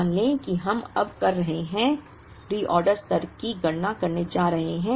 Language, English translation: Hindi, Let us say we are now, going to compute the reorder level